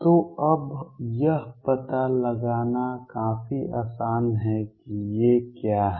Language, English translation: Hindi, So, now, it is quite easy to find out what these are